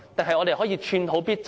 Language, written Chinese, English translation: Cantonese, 還是只可以寸土必爭？, Or can we just fight for every step forward?